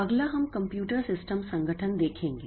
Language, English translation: Hindi, Next, we'll look into the computer system organization